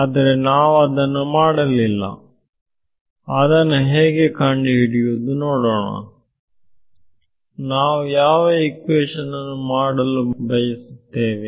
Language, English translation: Kannada, So, for we have not done that so now, let us see how do we evaluate let us say, so which is the equation that we are trying to do